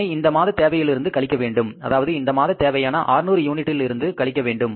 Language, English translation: Tamil, And in that case, we will subtract that, that our requirement for the current month is 600 units